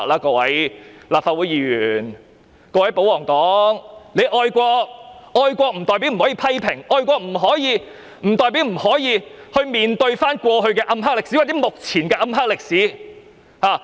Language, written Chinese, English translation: Cantonese, 各位立法會議員，各位保皇黨，你們愛國，但愛國不代表不可以批評，愛國不代表不可以去面對過去的暗黑歷史，或目前的暗黑歷史。, Honourable Members of the Legislative Council royalists you are patriotic but being a patriot does not mean that one should not make any criticisms or face the dark side of history in the past or at this moment